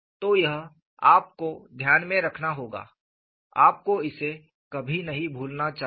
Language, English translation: Hindi, So, this, you will have to keep in mind;, you should never forget this;